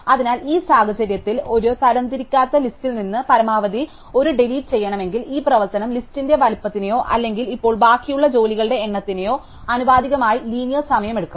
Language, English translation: Malayalam, So, in this case if we want to do a delete max from an unsorted list, this operation is going to take as linear time proportional to the size of the list or the number of jobs that are pending at the moment